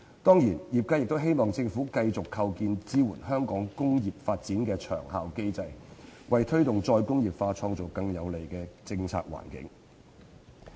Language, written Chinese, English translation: Cantonese, 當然，業界亦希望政府繼續構建支援香港工業發展的長效機制，為推動"再工業化"創造更有利的政策環境。, Certainly the sectors also hope that the Government will continue to formulate a long - term mechanism to support the development of industries in Hong Kong and create a more favourable policy environment for re - industrialization